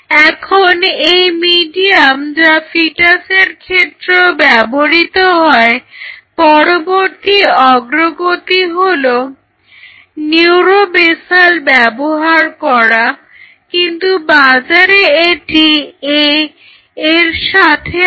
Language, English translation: Bengali, So, the next advancement in this medium which was used for fetus is using neuro basal, but it comes in the market it comes with A